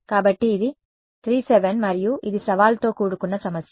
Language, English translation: Telugu, So, this was 3 and this was 7 and this was a challenging problem right